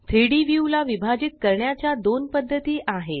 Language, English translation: Marathi, There are two ways to divide the 3D view